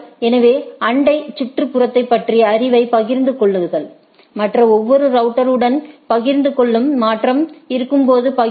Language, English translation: Tamil, So, share knowledge about the neighbor neighborhood, share with every other router, share sharing when there is a change right